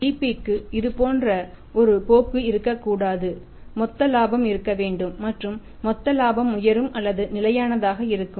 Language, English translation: Tamil, GP should not have a trend like this Gross Profit should be there and gross profit is either rising or remaining stable